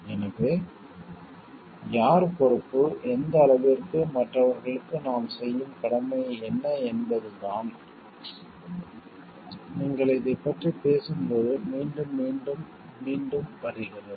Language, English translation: Tamil, So, again who is responsible and to what extent and what is our degree of dutifulness to others are the things which gets repeated again and again when you are talking of this